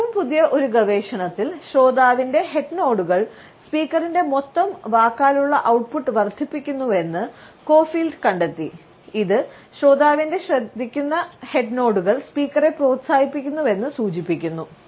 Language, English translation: Malayalam, In a more recent research this co field has noted that head nods by the listener increase the total verbal output of this speaker, that suggest that this speaker is encouraged by the attentive head nods of the listener